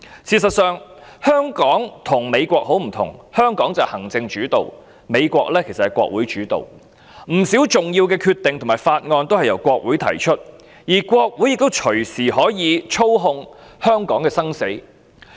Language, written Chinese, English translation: Cantonese, 事實上，香港與美國很不同，香港是行政主導，美國是國會主導，不少重要的決定和法案均由國會提出，而國會也隨時可以操控香港的生死。, As a matter of fact Hong Kong is very different from the United States . Hong Kong is executive - led and the United States is congress - led . The United States Congress makes many important decisions and puts forth important bills